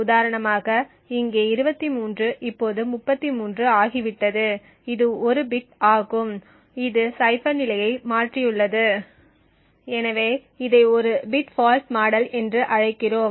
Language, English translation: Tamil, So for instance over here 23 has now become 33 that is 1 bit that has modify the state of the cipher so we call this as a bit fault model